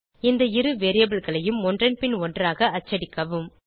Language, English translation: Tamil, Print those 2 variables one after the other